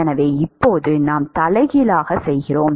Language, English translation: Tamil, So now, we do the reverse